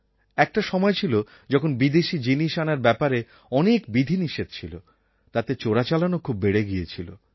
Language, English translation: Bengali, There was a time when there were many restrictions imposed on bringing foreign goods into the country which gave rise to a lot of smuggling